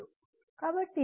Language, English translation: Telugu, So, X is not there